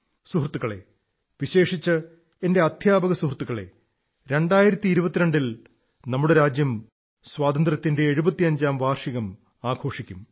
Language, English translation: Malayalam, Friends, especially my teacher friends, our country will celebrate the festival of the 75th year of independence in the year 2022